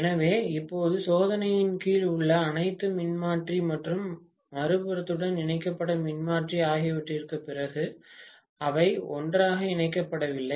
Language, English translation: Tamil, So, now after all the transformer under test and the transformer which is connected to the other side, they are not connected together